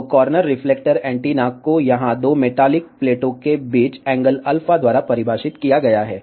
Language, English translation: Hindi, So, corner reflector antenna is defined by its angle alpha between the two metallic plates over here